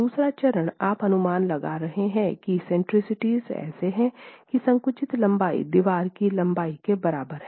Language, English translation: Hindi, The second stage you're estimating that the eccentricities are such that the compressed length is equal to the length of the wall